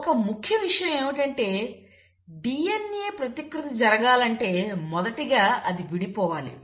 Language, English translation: Telugu, Now it is important if the DNA has to replicate, it has to first unwind